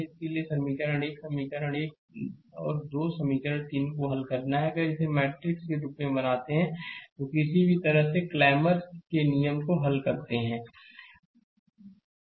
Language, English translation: Hindi, So, equation 1; equation 1, 2 and equation 3, you have to solve, if you make it in matrix form and solve any way Clammer’s rule and anyway you want, right